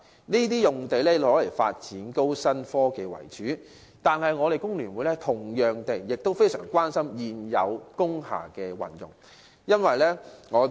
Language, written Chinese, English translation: Cantonese, 這些土地均用作發展高新科技為主，但工聯會同樣非常關注現有工廈的運用。, These sites are all mainly used for developing new technology . However FTU is equally concerned about the uses of existing industrial buildings